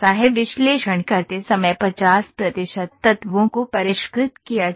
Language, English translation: Hindi, 50 percent of elements are refined while conducting analysis